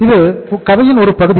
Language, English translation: Tamil, That is a one part of the story